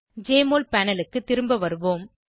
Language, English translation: Tamil, Lets go back to the Jmol panel